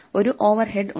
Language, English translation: Malayalam, So there is an overhead